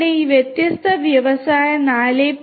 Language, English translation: Malayalam, So, if we are talking about Industry 4